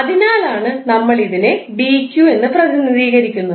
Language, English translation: Malayalam, That is why we are representing as dq